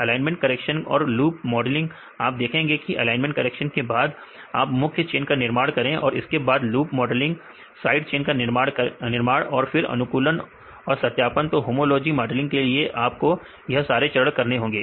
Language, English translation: Hindi, Alignment correction and loop modeling right you can see the after the alignment correction, you do the main chain, you can construct main chain, then loop modeling, sidechain construction then optimization and validation right you have to do all the steps to do homology modeling